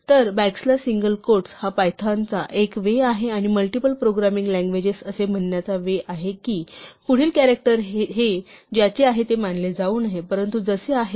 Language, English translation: Marathi, So, back slash single quote is python's way and many programming languages’ way of saying that the next character should not be treated as what it stands for, but as it is